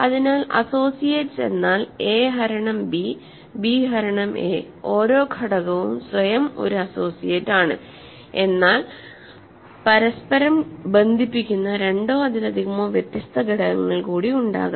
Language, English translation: Malayalam, So, associates means a divides b, b divides a of course, every element is an associate of itself, but there could be more two different elements which are associates of each other